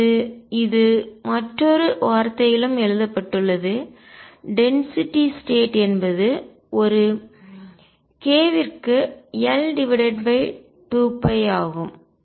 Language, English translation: Tamil, Or this is also written in another words is that the density of states is L over 2 pi per k